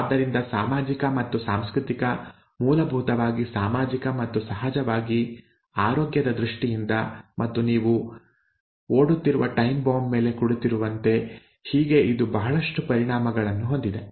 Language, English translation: Kannada, So it is it has a lot of ramifications social and cultural and so social essentially and of course health wise and the fact that you could be sitting on a ticking time bomb